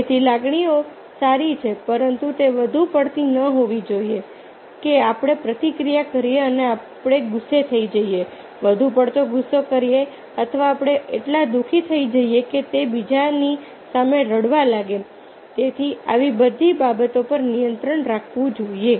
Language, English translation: Gujarati, so emotions are good, but it should not be excessive that we react and we become angry, excessive angry or we become so sad that it starts crying in front of others